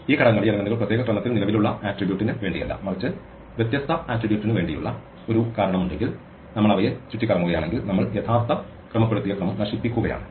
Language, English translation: Malayalam, If there was a reason why these elements were in particular order not for the current attribute, but for the different attribute and we move them around then we are destroying the original sorted order